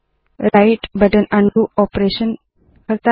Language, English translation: Hindi, The right button does an undo operation